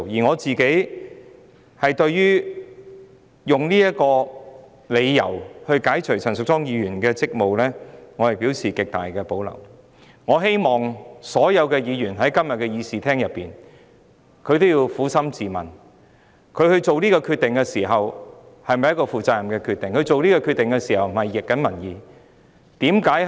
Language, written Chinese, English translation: Cantonese, 我本人對於以這個理由解除陳淑莊議員的議員職務，表示極大保留。我希望今天身處議事廳的所有議員均能撫心自問：這決定是否一個負責任的決定，有否拂逆民意？, I have to express my grave reservation about the proposal to relieve Ms Tanya CHAN of her duties as a Member on this ground and I hope all Members present in this Chamber today can ask themselves Is this a responsible decision and would the passage of the motion go against public opinions?